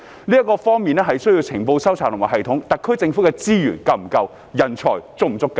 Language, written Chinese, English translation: Cantonese, 由於這方面需要收集情報的系統，特區政府有否足夠的資源？, As this requires a system for gathering intelligence does the SAR Government have sufficient resources?